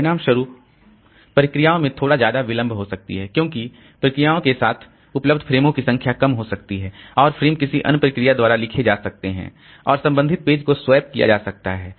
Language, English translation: Hindi, As a result, the processes they may see larger delay because there may be less number of frames available with processes and the process frames may be written by somebody, some other process and the corresponding page getting swapped out